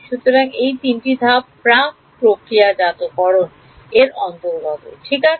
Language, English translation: Bengali, So, these 3 steps are what come under the category of preprocessing ok